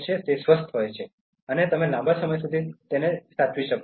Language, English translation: Gujarati, So, it is healthy, and you live longer